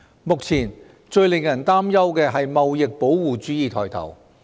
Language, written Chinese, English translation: Cantonese, 目前，最令人擔憂的是貿易保護主義抬頭。, At present what is most worrying is the rise in trade protectionism